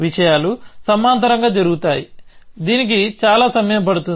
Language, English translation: Telugu, So, that things will happen in parallel, this will take so